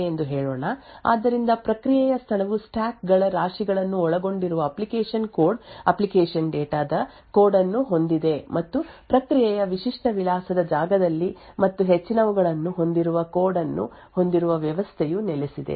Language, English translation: Kannada, So let us say that this is our process space so as we have seen before the process space has the code that is the application code application data comprising of stacks heaps and so on and higher in the typical address space of a process is where the operating system resides